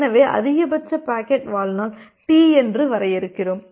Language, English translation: Tamil, So, we define the maximum packet lifetime T